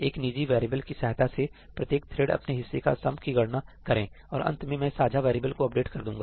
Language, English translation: Hindi, Why cannot each thread compute the sum of its own part in a private variable and in the end I will update the shared variable